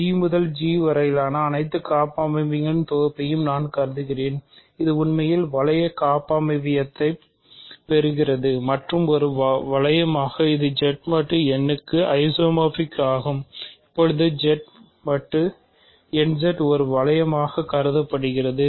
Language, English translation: Tamil, I consider the set of all homomorphisms, all group homomorphisms from G to G, that actually inherits the ring structure and as a ring it is isomorphic to Z mod n Z; now Z mod n Z is being considered as a ring ok